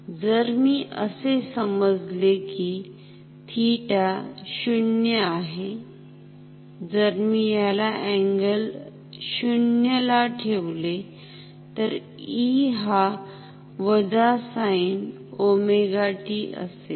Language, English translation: Marathi, If I consider say theta to be 0, if I keep it at an angle 0, then E will be minus sin omega t